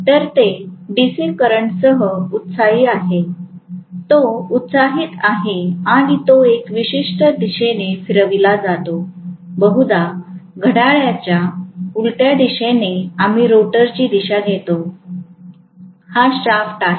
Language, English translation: Marathi, So, it is excited with DC current, it is excited and it is rotated in a particular direction, mostly anticlockwise we take as the conventional direction of rotation, this is the shaft